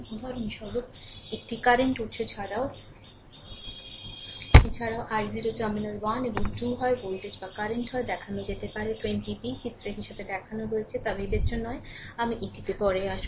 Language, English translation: Bengali, For example, a current source also i 0 can be inserted at terminal 1 and 2 either voltage or current; it does not matter as shown in 20 b, I will come to that